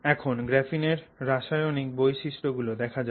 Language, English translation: Bengali, Mechanical properties of graphene